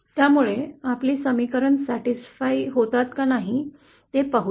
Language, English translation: Marathi, So let’s see whether our expression is satisfying this or not